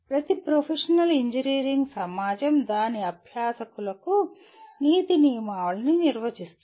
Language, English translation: Telugu, Every professional engineering society will define a code of ethics for its practitioners